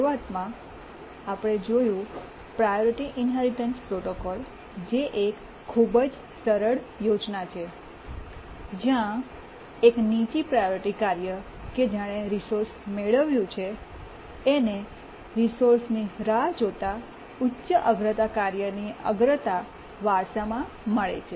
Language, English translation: Gujarati, Initially we had looked at the priority inheritance protocol which is a very simple scheme where a lower priority task which has acquired a resource inherits the priority of a higher priority task waiting for the resource but then the basic priority inheritance scheme had two major problems